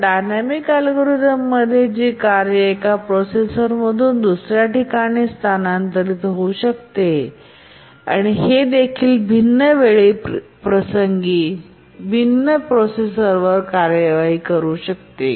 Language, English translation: Marathi, Whereas we also have dynamic algorithms where a task can migrate from one processor to other and at different time instance it can execute on different processors